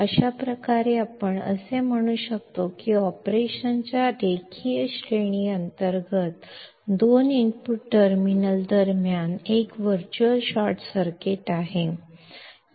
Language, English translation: Marathi, Thus we can say that under the linear range of operation, there is a virtual short circuit between the two input terminals